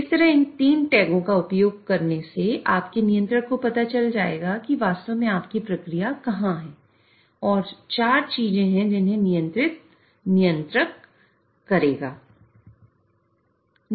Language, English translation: Hindi, So that way using these three tags your controller will know where exactly your process is and there are four things which the controller will control